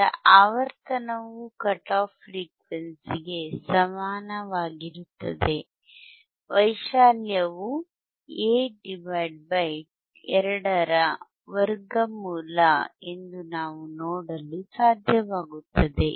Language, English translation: Kannada, wWe will be able to see that a frequency that is equal to cut off frequency, amplitude is about A by square root of 2, A by square root of 2